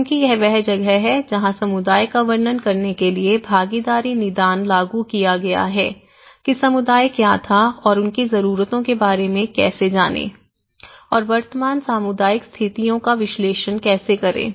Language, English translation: Hindi, Because this is where the participatory diagnosis have been implemented to describe the community what the community was and how they are learn about their needs and analysing the current community situations